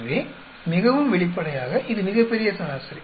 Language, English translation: Tamil, So, straight forward this is the grand average